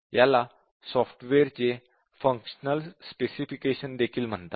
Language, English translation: Marathi, So, this is also called as a functional specification of the software